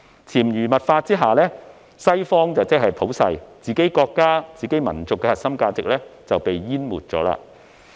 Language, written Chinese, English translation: Cantonese, 在潛移默化下，西方即普世，自己國家、民族的核心價值則被淹沒了。, Under such subtle influence values of the West have become universal values whereas the core values of our own country and nation have been drowned out